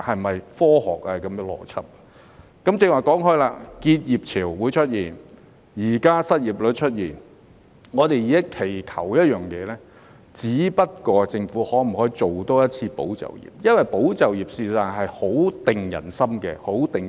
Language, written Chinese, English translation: Cantonese, 我剛才提到結業潮會出現，而失業率現在亦已經出現，我們現時期求的一件事，只不過是政府可否再推出一次"保就業"計劃。, As I mentioned earlier there will be a wave of business closures and an unemployment rate has already been recorded . We have just one request now . We would like to ask if the Government can launch another tranche of Employment Support Scheme ESS